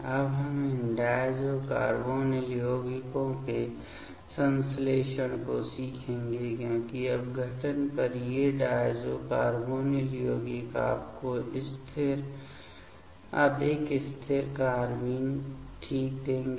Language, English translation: Hindi, Now, we will learn the synthesis of these diazo carbonyl compounds because these diazo carbonyl compounds on decompositions will give you the stable more stable carbenes fine